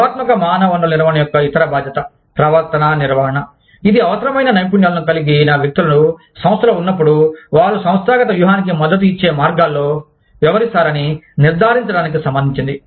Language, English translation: Telugu, The other responsibility of, strategic human resource management is, behavior management, which is concerned with ensuring that, once individuals with the required skills are in the organization, they act in ways, that support the organizational strategy